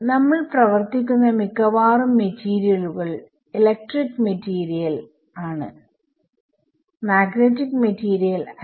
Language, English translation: Malayalam, So, most materials that we work with are electric I mean they are not magnetic materials the electric material